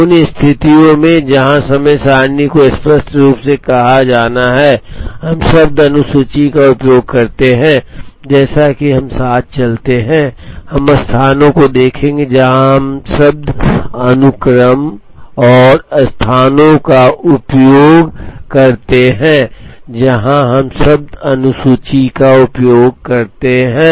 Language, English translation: Hindi, In situations where the time table has to be explicitly stated, we use the word schedule, as we move along, we will see places where, we use the word sequence and places where, we use the word schedule